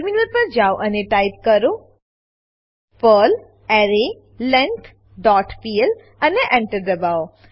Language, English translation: Gujarati, Switch to terminal and type perl arrayLength dot pl and press Enter